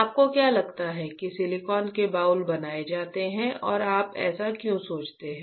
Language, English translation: Hindi, What do you think the or where do you think the silicon boules are made and why do you think so right